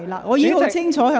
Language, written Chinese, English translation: Cantonese, 我已很清楚提醒你。, I have very clearly reminded you